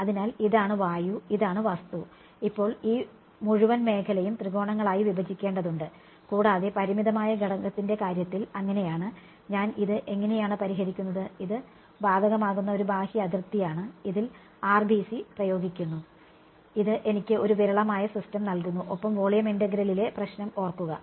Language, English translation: Malayalam, So, this is air, this is the object and now this whole domain has to be fractured into triangles and so on in the case of finite element, and this is how I solve it, this is the sort of a outermost boundary on which apply RBC and this gives me a sparse system and remember the problem with volume integral was